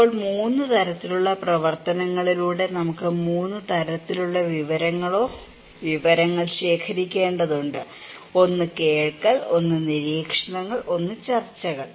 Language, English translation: Malayalam, Now, we have also need to collect 3 kinds of informations or informations through 3 kinds of activities; one is hearing, one is observations, one is discussions